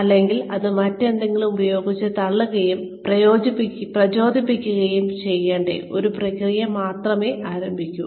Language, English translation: Malayalam, Or, will it only start a process, that will have to be pushed and motivated, by something else